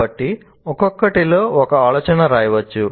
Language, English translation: Telugu, So one can write one idea in each one